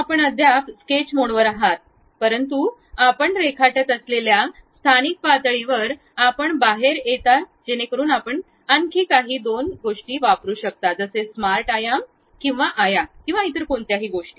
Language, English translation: Marathi, You are still at the sketch mode, but that local level where you are drawing you will be coming out, so that you can use some other two like smart dimension, or rectangle, or any other kind of things